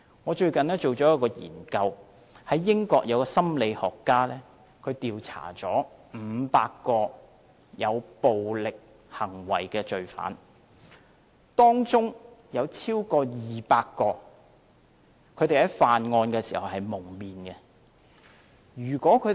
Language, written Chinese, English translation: Cantonese, 我最近知悉一項研究，英國有一位心理學家調查了500名有暴力行為的罪犯，當中有超過200名在犯案時是蒙面的。, I have recently come across a research . A psychologist in the United Kingdom has conducted a survey among 500 criminals who had committed violent acts . Among them over 200 were masked at the time of committing the crimes